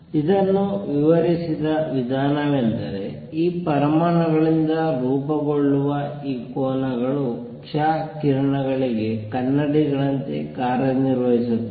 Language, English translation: Kannada, The way it was explained was that these planes, planes form by these atoms actually act like mirrors for x rays